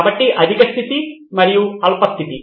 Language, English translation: Telugu, So high point and the low point